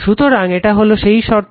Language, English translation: Bengali, So, this is the condition right